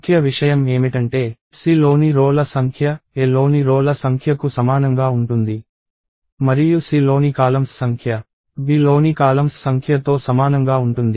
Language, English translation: Telugu, So, the key thing is the number of rows in C is the same as the number of rows in A; and the number of columns in C is the same as the number of columns in B